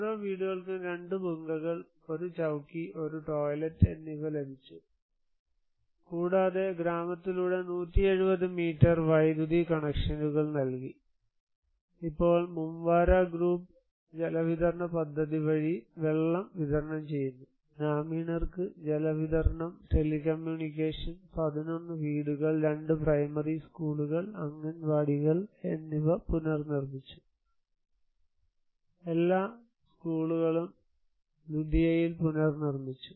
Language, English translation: Malayalam, So, each household they received 2 Bhungas, 1 Chowki and one toilet for, and 170 metered connections through the village were given to the electricity, water is now supplied by Mumvara group water supply scheme, the villagers get quite regularly the water supply, telecommunications was given to 11 houses and other educational, 2 primary schools and Anganwadis were rebuilt, all the schools were reconstructed in Ludiya